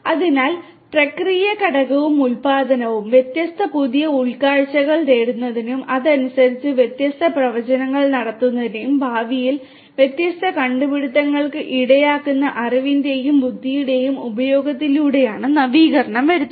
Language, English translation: Malayalam, So, process component and production; innovation will come through the use of knowledge and intelligence for deriving different new insights and correspondingly making different predictions which will lead to different innovations in the future